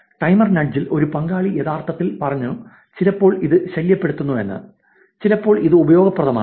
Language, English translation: Malayalam, Timer nudge, one participant actually said at times annoying, and at times handy